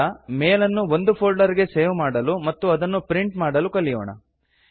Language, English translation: Kannada, Let us now learn how to save a mail to a folder and then print it